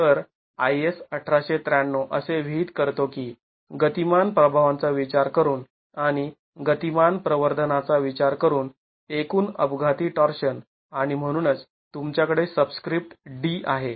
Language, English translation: Marathi, So, I has 1893 prescribes that the total accidental torsion considering dynamic effects, considering dynamic amplification and that's why you have the subscripts D